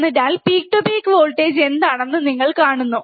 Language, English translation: Malayalam, We are talking about peak to peak voltage, right